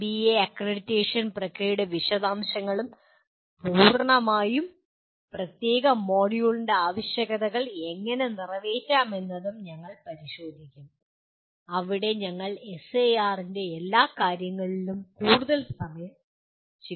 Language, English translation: Malayalam, We will be looking at the details of NBA accreditation process and how to meet the requirements in a completely separate module where we spend lot more time on every aspect of SAR